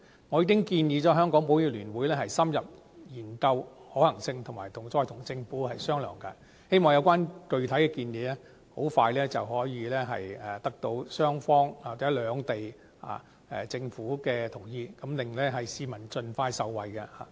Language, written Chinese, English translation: Cantonese, 我已經建議香港保險業聯會深入研究可行性，以及再與政府商討，希望有關具體建議可以盡快得到雙方或兩地政府的同意，讓市民盡快受惠。, I have asked the Hong Kong Federation of Insurers to thoroughly study the feasibility of the proposal for further discussion with the Government . I hope that when the concrete proposal is in place it can obtain expeditious approval from Governments of the two places to let the public benefit from it as soon as possible